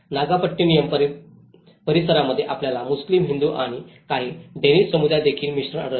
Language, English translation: Marathi, The Nagapattinam area, we can see a mix of Muslim, Hindu and also some of the Danish communities live there